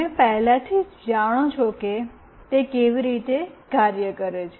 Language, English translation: Gujarati, You already know how it works